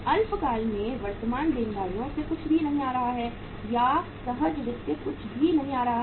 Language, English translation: Hindi, Nothing is coming from the current liabilities from the short term or the spontaneous finance nothing is coming